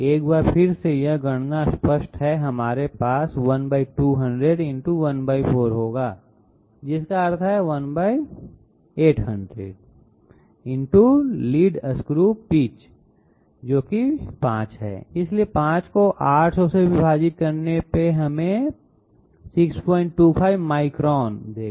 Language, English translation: Hindi, Once again this is this calculation is obvious, we will have 1/200 1/4 which means 1/800 the lead screw pitch, which is 5 so 5 divided by 800 will give us 6